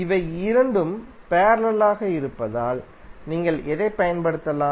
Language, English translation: Tamil, So since these two are in parallel, what you can apply